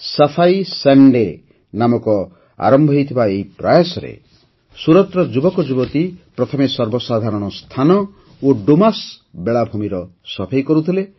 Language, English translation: Odia, Under this effort, which commenced as 'Safai Sunday', the youth of Suratearlier used to clean public places and the Dumas Beach